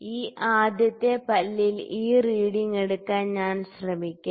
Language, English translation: Malayalam, So, let me try to take this reading on this first tooth here